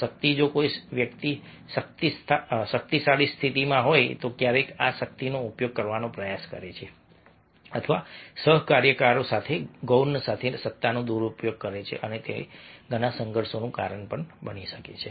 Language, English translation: Gujarati, power: if a person is in in a powerful position, then sometimes try to use this power or misuse the power with the subordinated, with the colleagues, and that causes lots of conflict